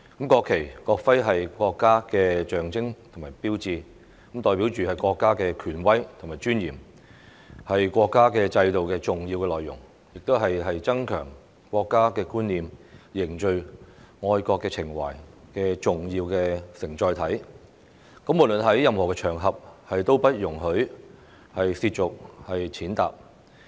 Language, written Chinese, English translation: Cantonese, 國旗、國徽是國家的象徵與標誌，代表國家的權威和尊嚴，是國家制度的重要內容，亦是增強國家觀念、凝聚愛國情懷的重要承載體，無論在任何場合下都不容許褻瀆、踐踏。, The national flag and national emblem are the symbols and signs of a country representing the authority and dignity of the country . They are important elements in the countrys system and also an essential carrier to enhance the sense of national identity and unite patriotic feelings . They should not be desecrated or trampled upon under any circumstances